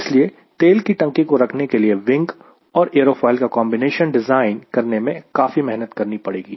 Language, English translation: Hindi, so lot of effort will go in designing and wing aerofoil combination, keeping the housing of fuel tank